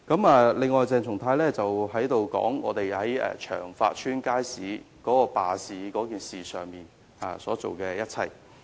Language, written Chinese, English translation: Cantonese, 此外，鄭松泰議員提到我們在長發街街市罷市事件上所做的一切。, Moreover Dr CHENG Chung - tai mentioned what we had done in the strike staged at Cheung Fat Market